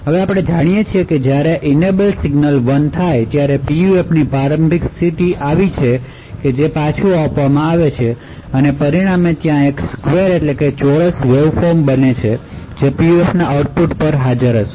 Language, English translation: Gujarati, Now as we know, when the enable signal is 1, there is an initial state of the PUF which gets fed back and as a result there is a square waveform which gets present at the output of the PUF